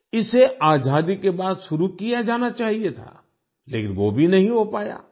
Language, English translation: Hindi, It should have been started after independence, but that too could not happen